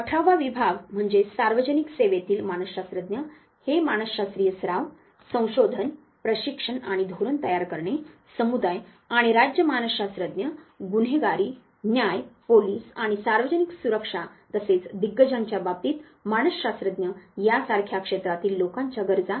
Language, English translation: Marathi, The eighteenth division that is, psychologists in public service this looks at the needs of the public in areas such as psychological practice research training and policy formation community and state psychologists criminal justice police and public safety as well as psychologist in the veterans affairs